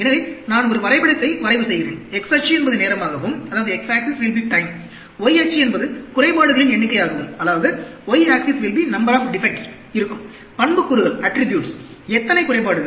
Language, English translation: Tamil, So, I plot a graph; x axis will be time, y axis will be number of defects; attributes; how many defects